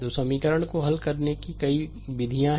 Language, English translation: Hindi, When you are solving this equation